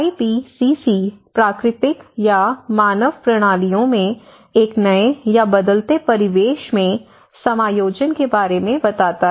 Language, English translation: Hindi, The IPCC tells about the adjustment in natural or human systems to a new or changing environment